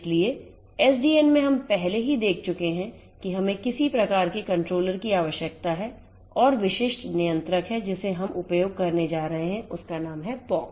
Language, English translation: Hindi, So, in SDN we have already seen that we need some kind of a controller and is the specific controller that we are going to use it is name is pox